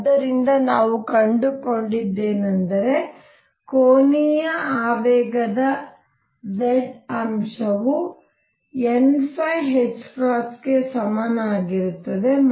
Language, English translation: Kannada, So, what we have found is that the angular momentum z component of angular momentum is equal to n phi h cross